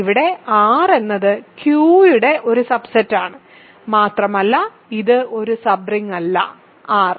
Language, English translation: Malayalam, Here R is a subset of Q and it is not a sub ring of R